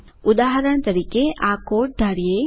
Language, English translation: Gujarati, For example, consider the code